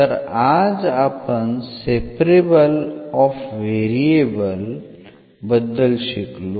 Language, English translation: Marathi, So, this is what we have learnt today, the separable of variables